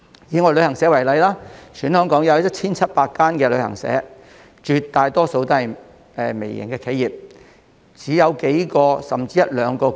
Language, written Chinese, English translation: Cantonese, 以旅行社為例，香港有 1,700 間旅行社，當中大部分也是微型企業，只有數名甚至一兩名僱員。, Take travel agencies as an example . In Hong Kong there are 1 700 travel agencies most of which are micro - enterprises hiring several or just one or two employees